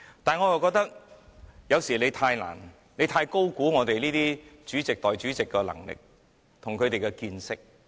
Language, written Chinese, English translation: Cantonese, 但是，我覺得他是否太高估我們主席和代理主席的能力及見識？, But I wonder if he has overestimated the ability and knowledge of our President or Deputy President